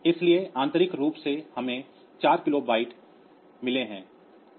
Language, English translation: Hindi, So, internally we have got internally we have got 4 kilobyte